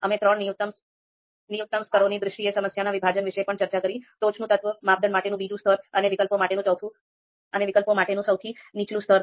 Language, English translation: Gujarati, Breakdown of the problem that we have discussed in terms of three minimum levels, top element, second level for criteria and the lowest level for alternatives